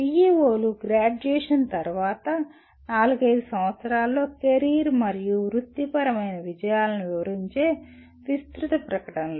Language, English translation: Telugu, PEOs are broad statements that describe the career and professional accomplishments in four to five years after graduation